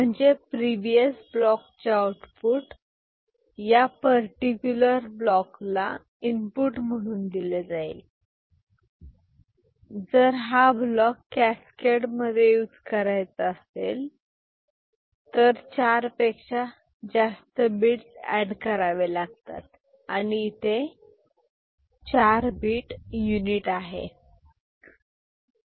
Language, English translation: Marathi, So, in a previous block, carry output, will be fed as input to this particular block ok, if that is to be used in cascade there are more than 4 bits to be added and this is the 4 bit unit right